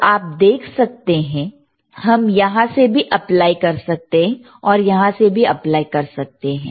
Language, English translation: Hindi, hHere you see, we can apply through here, or we can apply through here